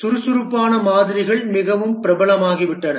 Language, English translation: Tamil, The agile models have become very popular